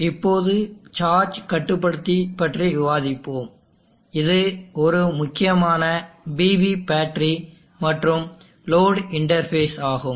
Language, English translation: Tamil, Let us now discuss the charge controller, it is an important PV battery and load interface